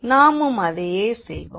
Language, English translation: Tamil, So, we will do the same